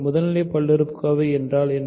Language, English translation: Tamil, What is a primitive polynomial